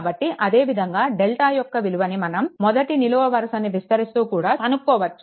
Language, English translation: Telugu, So, similarly, your the value of delta may also be obtained by expanding along the first column